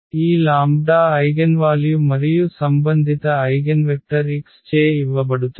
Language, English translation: Telugu, This lambda is the eigenvalue and the corresponding eigenvector will be given by x